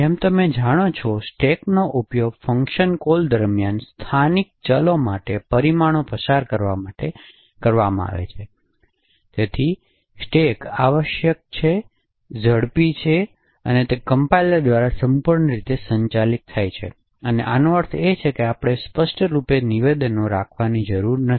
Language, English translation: Gujarati, As you know stacks are used during function invocations and to pass parameters to functions as well as for local variables, so stacks essentially are fast they are fully managed by the compiler and what we mean by this is that we do not have to explicitly have statements which says create a particular area in the stack and free that area in the stack